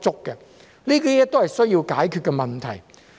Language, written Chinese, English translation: Cantonese, 這些都是需要解決的問題。, These are the problems that need to be solved